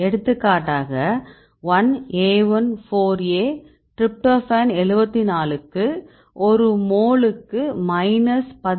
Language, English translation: Tamil, This is one example now for example, the 1AI4A tryptophan 74 has minus 13